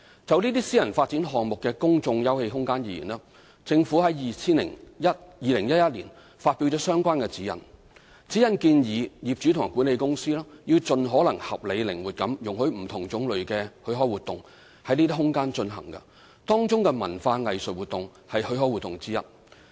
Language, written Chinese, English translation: Cantonese, 就這些私人發展項目的公眾休憩空間而言，政府於2011年發表相關指引，指引建議業主和管理公司要盡可能合理靈活地容許不同種類的許可活動在這些空間進行，當中文化藝術活動為許可活動之一。, In regard to the public open space in private development projects the Government issued related guidelines in 2011 suggesting that the owners and management companies should as far as possible allow in a reasonable and flexible manner various kinds of permitted activities including cultural and arts activities to be conducted in the open space